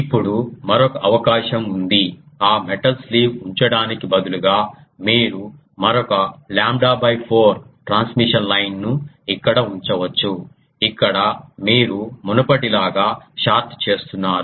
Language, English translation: Telugu, Now, there is another possibility is instead of ah um putting that metal sleeve, you can put a ah another transmission line here of lambda by 4, here you are shorting as before